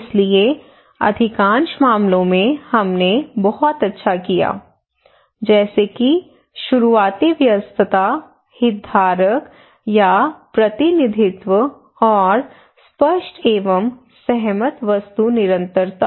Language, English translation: Hindi, So most of the cases we did very well like early engagement, representation of just stakeholder, continuity engagements clear and agreed object